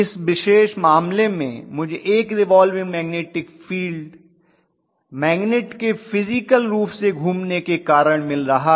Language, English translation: Hindi, In this particular case, I have one revolving field because of physically revolving magnet